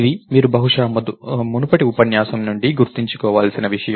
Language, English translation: Telugu, So, this is something that you have to you probably remember from an earlier lecture